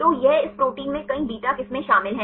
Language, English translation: Hindi, So, it contains several beta strands in this protein